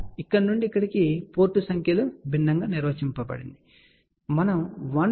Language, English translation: Telugu, So, you can see here that the from here to here just notice that the port numbers are defined differently, ok